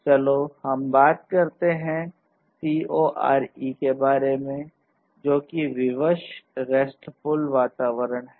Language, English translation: Hindi, And let us talk about the CoRE which is the full form of which is Constrained RESTful Environments; Constrained RESTful Environment